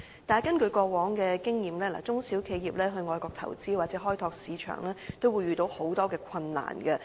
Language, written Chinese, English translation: Cantonese, 但是，根據過往的經驗，中小企業到外國投資或開拓市場，都會遇到很多困難。, However based on past experience SMEs encounter many difficulties when making investments or developing markets overseas